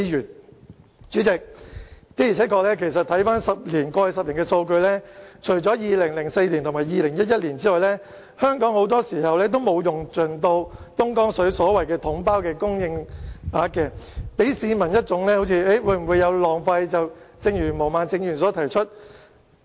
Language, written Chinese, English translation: Cantonese, 代理主席，的而且確，看看過去10年的數據，除了2004年和2011年外，香港很多時候都沒有用盡東江水的統包供應額，給市民一種浪費的感覺，正如毛孟靜議員亦有提出。, Deputy President let us take a look at the data of the past decade . Except for 2004 and 2011 Hong Kong did not use up the water quota under the package deal lump sum approach for most of the time . It may give an impression to the public that water has been wasted which has been mentioned by Ms Claudia MO